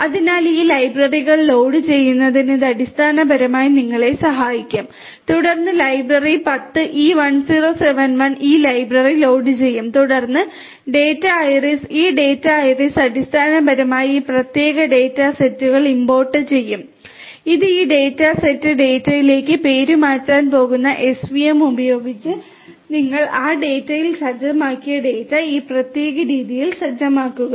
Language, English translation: Malayalam, So, library caret this will basically help you in loading these libraries, then library ten e1071 will also load this library then data iris this data iris will basically import this particular data set and this is going to be renamed to this data set data set and then using svm you execute the data that you have in that data set in this particular manner